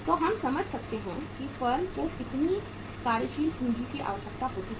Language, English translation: Hindi, So we can understand that how much working capital can be required by the firm